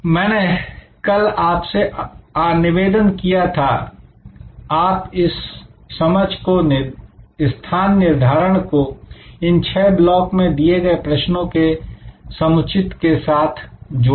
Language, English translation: Hindi, I had requested you yesterday that you combine this understanding of positioning with these sets of questions in front of you in these six blocks